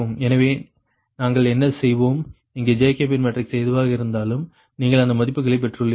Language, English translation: Tamil, so what, ah, we, we will do it that whatever jacobean matrix, here jacobean elements, you have got this ah values right